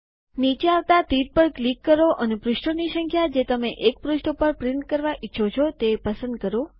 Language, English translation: Gujarati, Click on the drop down arrow and choose the number of pages that you want to print per page